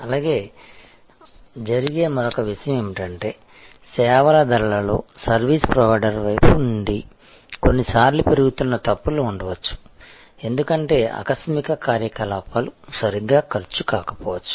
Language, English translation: Telugu, Also, another thing that happens is that in services pricing, from the service provider side, sometimes there can be grows mistakes, because sudden activities might not have been costed properly